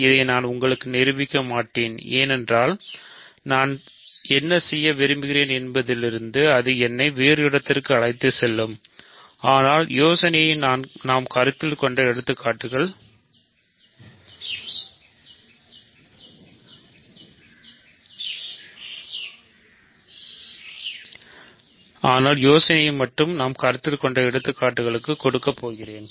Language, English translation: Tamil, So, this I will not prove for you because that will take me away from what I want to do, but the idea is the same as the examples we have considered